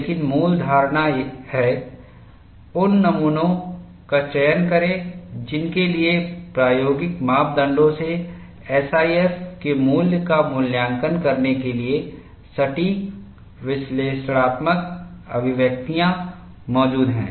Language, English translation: Hindi, But the basic philosophy is, select those specimens for which accurate analytical expressions exist, to evaluate the value of SIF from experimental parameters